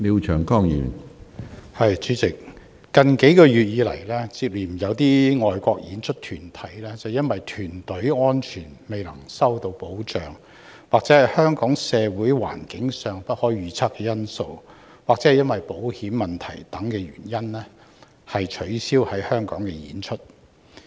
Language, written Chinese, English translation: Cantonese, 主席，近月接連有海外表演團體，因憂慮安全未能受到保障及香港社會環境的不確定性，以及保險問題等原因，而取消來港演出。, President overseas performing groups have successively cancelled their performances in Hong Kong in recent months due to worries about the lack of protection for their safety the uncertainty of Hong Kongs social situation insurance issues etc